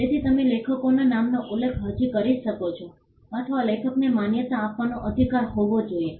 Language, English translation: Gujarati, So, you can the authors name can still be mentioned as, or the author should has a right to be recognized